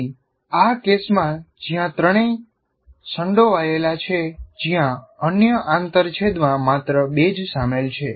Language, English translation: Gujarati, Where here in this case, where all the three are involved, where only two are involved in the other intersections